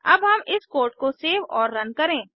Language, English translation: Hindi, Now, let us save and run this code